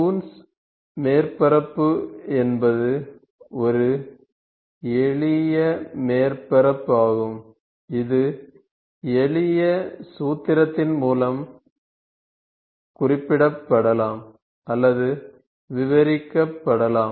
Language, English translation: Tamil, So, Coons surface is basically a simple surface which can be represented, which can be described by means of, by means of simple formula